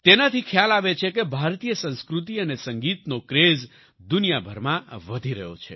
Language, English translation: Gujarati, This shows that the craze for Indian culture and music is increasing all over the world